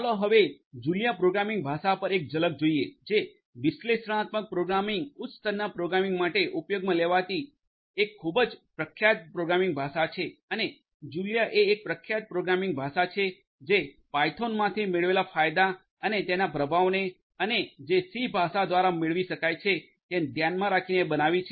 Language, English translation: Gujarati, Let us now have a glimpse at the Julia programming language which is quite popular programming language used for analytics programming high level programming of analytics and Julia is a popular programming language that builds on the benefits that are obtained from python and the performance that is achieved with c language